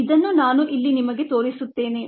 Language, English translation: Kannada, let me show this to you here